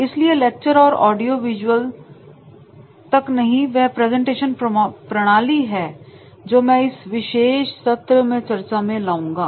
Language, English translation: Hindi, So lectures and audio visual techniques are presentation methods which are the I will be discussing into this particular session